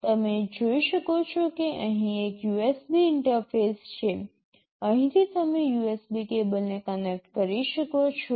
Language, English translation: Gujarati, You can see there is a USB interface out here, from here you can connect a USB cable